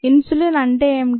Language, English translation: Telugu, what is insulin